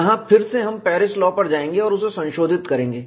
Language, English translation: Hindi, Here again, we will go back the Paris law and modify it